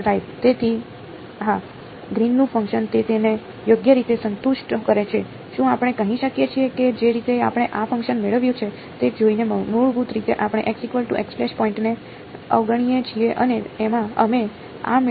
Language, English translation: Gujarati, So, this Green’s function it satisfies it right, can we say that the way we derived this function was by looking at basically we ignore the point x is equal to x prime and we derived this right